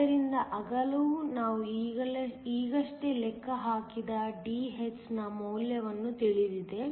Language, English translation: Kannada, So, the width is known the value of Dh we just calculated